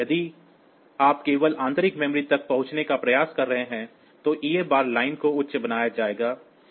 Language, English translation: Hindi, So, and if you are trying to access only internal memory then the EA bar line will be made high